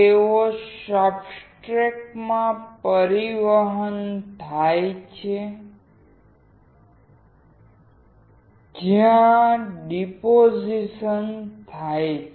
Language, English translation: Gujarati, They are transported to the substrate where deposition occurs